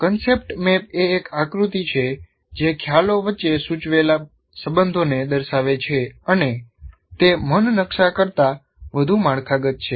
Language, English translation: Gujarati, The concept map is a diagram that depicts suggested relations between concepts and it is more structured than a mind map